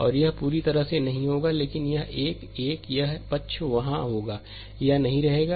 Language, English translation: Hindi, And this will not be there completely gone, but this one, this one, this side will be there, this will not be there